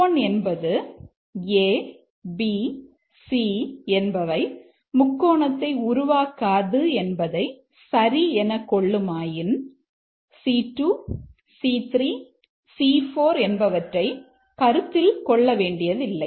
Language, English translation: Tamil, And if C1 is that A, B, C is not a triangle is true, then the display will be not a triangle irrespective of the condition C2, C3, C4